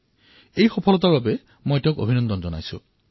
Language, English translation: Assamese, I congratulate him on his success